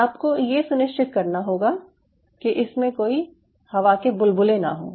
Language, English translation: Hindi, so you slowly, and you have to ensure that there is no air bubble formation